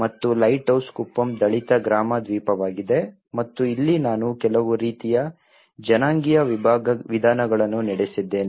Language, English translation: Kannada, And the lighthouse Kuppam which is a Dalit village island and this is where I have conducted some kind of ethnographic methods